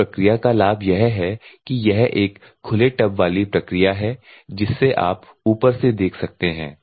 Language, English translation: Hindi, The advantages of this process is that it is the open tub so that you can see from the top